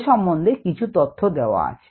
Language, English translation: Bengali, some information is given ah